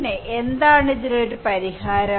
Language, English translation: Malayalam, Then what is the solution for this